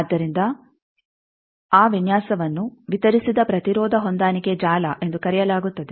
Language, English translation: Kannada, So, that design is called distributed impedance matching network